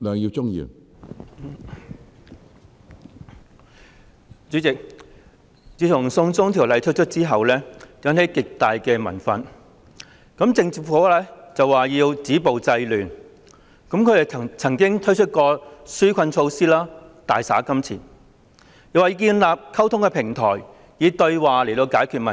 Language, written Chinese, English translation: Cantonese, 主席，自從"送中條例"推出後，引起極大民憤，政府說要"止暴制亂"，他們曾經推出紓困措施、大灑金錢，又說要建立溝通平台，以對話來解決問題。, President great public resentment was aroused after the introduction of the China extradition bill and the Government says it has to stop violence and curb disorder . It has rolled out relief measures squandering money and said that a communication platform will be erected so that the problem can be resolved through dialogue